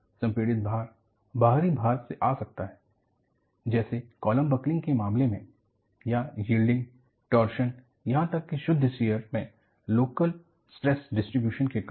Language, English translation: Hindi, The compressive loads can come from external loads that is, obviously, seen in the case of a column buckling or due to local stress distribution as in bending, torsion or even in, pure shear